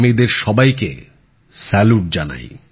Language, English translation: Bengali, I salute all of them